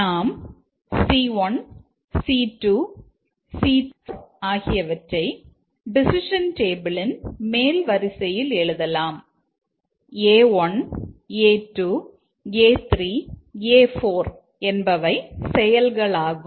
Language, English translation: Tamil, We can write C1, C2, C3, C4 in the top rows of the addition table and A1, A2, A3, A4 are the actions